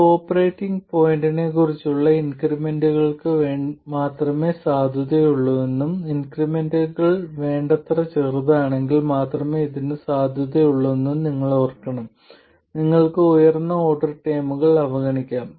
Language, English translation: Malayalam, You have to remember that this is valid only for increments about the operating point and also it's valid only when the increments are sufficiently small so that you can neglect the higher order terms